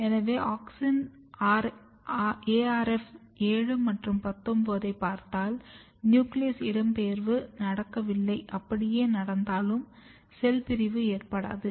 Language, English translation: Tamil, So, if you look auxin arf 7 and 19 you can see that there is no clear nuclear migration, even if there is nuclear migration it is not getting cell division is not occurring